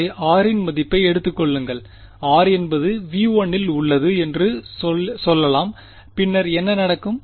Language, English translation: Tamil, So, take a value of r let us say r is in V 1 then what will happen